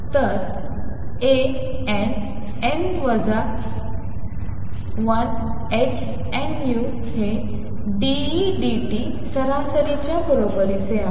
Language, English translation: Marathi, So, A n n minus 1 h nu is equal to d E d t average